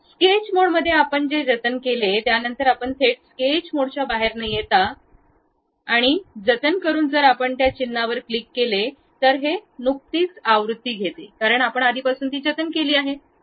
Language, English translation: Marathi, In the sketch mode you saved it, after that you straight away without coming out of sketch mode and saving it if you click that into mark, it takes the recent version like you have already saved that is [FL]